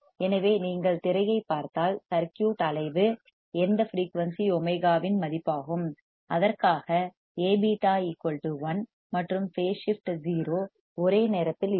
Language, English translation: Tamil, So, if you see the screen what we see that the frequency at which the circuit will oscillate is a value of omega for which A beta equals to 1, and phase shift is 0 at the same time